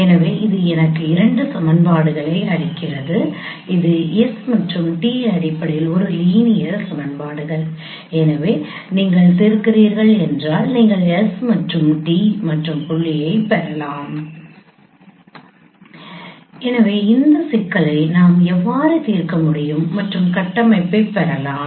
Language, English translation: Tamil, So the dot product of between these two vectors should be equal to 0 so this gives me two equations is that are linear equations in terms of s and t so if you solve and you can get s and t at the point so this is how we can solve this problem and we can get the structure let us consider the other problem of line reconstruction